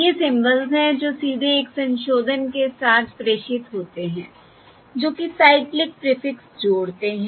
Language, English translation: Hindi, These are the symbols which are directly transmitted, with one modification, that is, adding a cyclic prefix